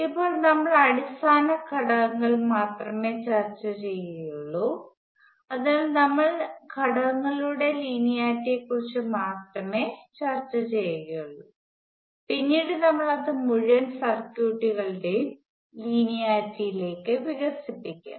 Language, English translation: Malayalam, Right now, we only discussed basic elements, so we will only discuss linearity of elements, later we will expand it to linearity of entire circuits